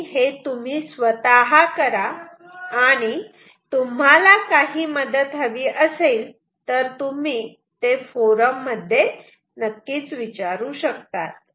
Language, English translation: Marathi, Do it, try it yourself and if you need any help you can ask us in the forum